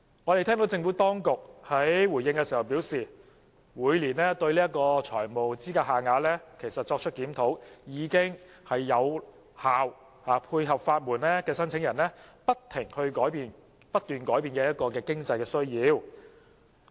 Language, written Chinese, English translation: Cantonese, 我們聽到政府當局回應時表示，每年對財務資格限額作出檢討，已能有效配合法援申請人不斷改變的經濟需要。, In response the Administration advises that the annual review of FELs is an effective means to meet the changing financial needs of the legal aid applicants